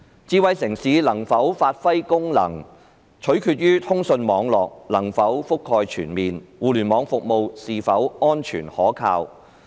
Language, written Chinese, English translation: Cantonese, 智慧城市能否有效發揮功能，取決於通訊網絡的覆蓋是否全面，以及互聯網服務是否安全可靠。, The effective functioning of a smart city depends on whether the coverage of communication networks is extensive and whether Internet services are safe and reliable